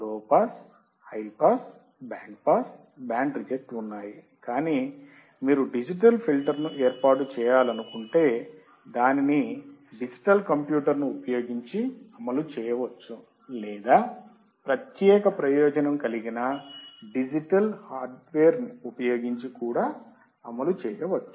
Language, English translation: Telugu, Now, also based on the category there are four low pass, high pass, band pass, band reject, but if you want to form a digital filter that can be implemented using a digital computer or it can be also implemented using special purpose digital hardware